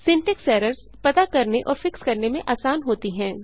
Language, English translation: Hindi, Syntax errors are easy to find and fix